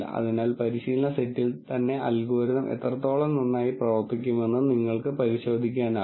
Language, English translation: Malayalam, So, you could verify how well the algorithm will do on the training set itself